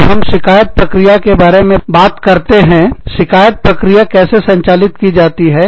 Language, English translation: Hindi, When we talk about, the grievance procedure, how is a grievance procedure, handled